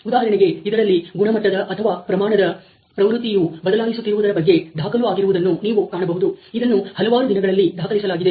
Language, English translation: Kannada, For example, you can see that there is a tendency of the quantity or the quality to shift in this is recorded over number of days